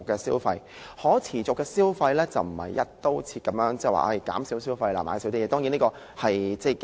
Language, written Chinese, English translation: Cantonese, 所謂可持續消費，並非"一刀切"地宣傳減少消費，減少買東西。, In promoting sustainable consumption the Government should not adopt a broad - brush approach to promote the reduction of consumption and purchases